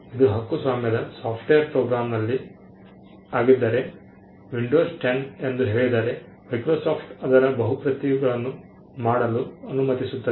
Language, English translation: Kannada, If it is a copyrighted software program say Windows 10, it allows Microsoft to make multiple copies of it